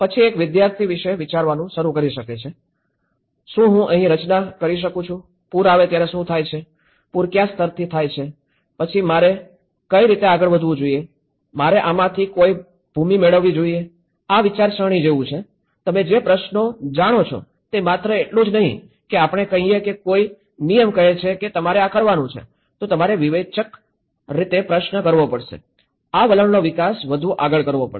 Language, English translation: Gujarati, Then a student can start thinking about, can I construct here, what happens when a flood comes, what happens to what level the flood comes, then what way should I move, do I get any land from this so, these are like the brainstorming questions you know so, it is not just only letís say you say a rule says you have to do this, then you have to critically question it, this attitude has to be developed further